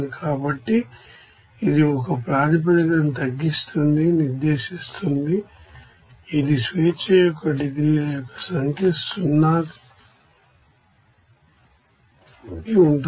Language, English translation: Telugu, So, which specifies that a basis will be reduce it is number of degrees of freedom to 0